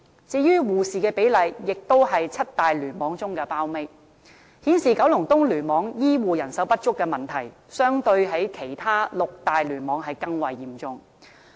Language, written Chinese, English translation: Cantonese, 至於護士的比例，亦都是七大聯網中的包尾，顯示九龍東聯網醫護人手不足的問題，相對其他六大聯網更為嚴重。, Its ratio of nurses also ranked last among the seven clusters indicating that the shortage of healthcare power in KEC was more serious than that in the other six clusters